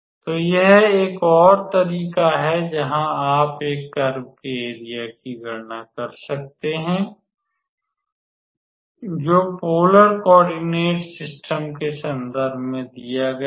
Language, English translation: Hindi, So, this is another way where you can calculate the area of a curve which is given in terms of polar coordinates